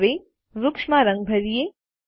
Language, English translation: Gujarati, Now, let us color the trees